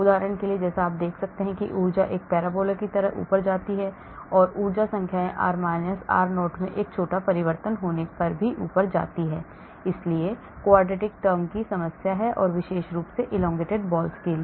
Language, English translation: Hindi, for example as you can see here the energy goes up like a parabola, so the energy numbers go up even if there is a small change in the r – r0, so quadratic has the problem , especially for elongated balls